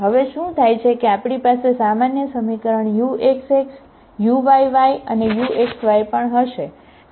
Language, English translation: Gujarati, Now what happens, we will also have in the general equation uxx, uyy and u xy